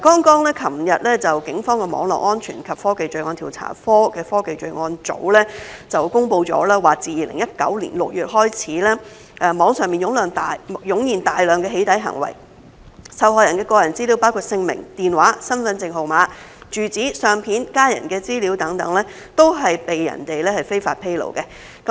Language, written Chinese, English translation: Cantonese, 昨日警方的網絡安全及科技罪案調查科的科技罪案組公布，自2019年6月開始，網上湧現大量"起底"行為，受害人的個人資料，包括姓名、電話、身份證號碼、住址、相片、家人資料等，都被人非法披露。, Yesterday the Technology Crime Division under the Cyber Security and Technology Crime Bureau of the Police announced that since June 2019 intensive online doxxing acts have been reported and the victims personal data including names phone numbers identity card numbers addresses photos family members information etc have been illegally disclosed